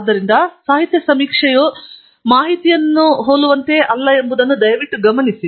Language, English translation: Kannada, So, please note that literature survey is not the same as googling out the information